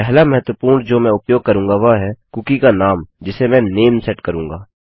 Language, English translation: Hindi, The first vital one I will use is the name of the cookie which I will set to name